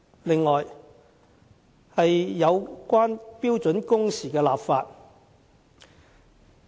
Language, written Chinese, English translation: Cantonese, 此外，有關標準工時的立法。, Another issue is the enactment of legislation on standard working hours